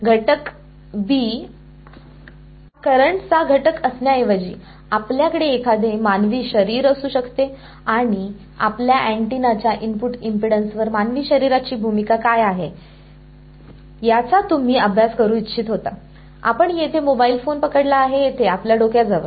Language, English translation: Marathi, Instead of element B being a current element, you could have, for example, a human body and you wanted to study what is the role of a human body on the input impedance of your antenna you are holding a mobile phone over here close to your head